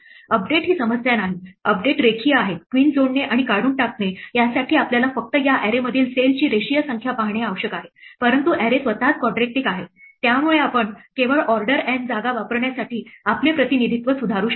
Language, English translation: Marathi, The updates are not a problem the updates are linear, adding and removing a queen only requires us to look at a linear number of cells in this array, but the array itself is quadratic, so can we improve our representation to use only order N space